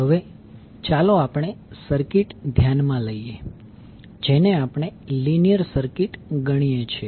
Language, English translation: Gujarati, So, now again let us consider the circuit we consider a linear circuit